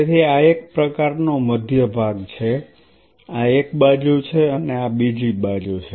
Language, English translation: Gujarati, So, this is a kind of a central part this is the side and this is the other side